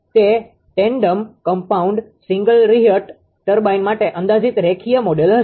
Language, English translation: Gujarati, So, this is approximate linear model for tandem compound single reheat steam turbine